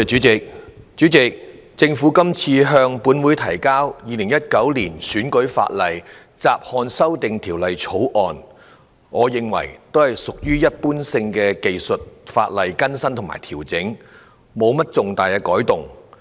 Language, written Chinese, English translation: Cantonese, 主席，政府今次向本會提交《2019年選舉法例條例草案》，屬於一般技術性的修訂和調整，沒有重大改動。, President the Electoral Legislation Bill 2019 the Bill introduced by the Government to the Council only involves some general technical amendments without proposing any major changes